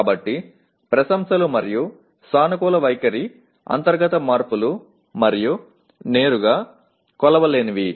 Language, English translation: Telugu, So appreciation and positive attitude are internal changes and not directly measurable